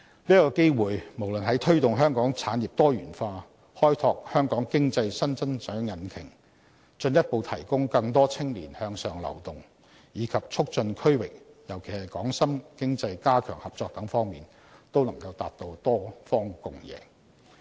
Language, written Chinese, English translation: Cantonese, 這次機會，無論在推動香港產業多元化、開拓香港經濟新增長引擎、進一步提供更多青年向上流動，以及促進區域，尤其是港深經濟加強合作等方面，均能達至多方共贏。, This will create a multi - win situation in promoting Hong Kongs industrial diversification exploring the new engine to Hong Kongs economic growth further providing upward mobility to Hong Kong young people as well as promoting regional economic cooperations in particular the cooperations between Hong Kong and Shenzhen